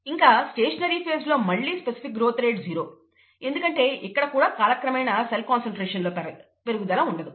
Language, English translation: Telugu, And, in the stationary phase, again, the specific growth rate is zero, because there is no increase in cell concentration with time